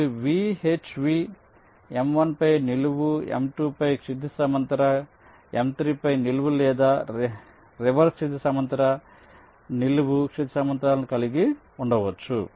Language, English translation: Telugu, like you can have either v, h v, vertical on m one, horizontal on m two, vertical on m three, or the reverse: horizontal, vertical, horizontal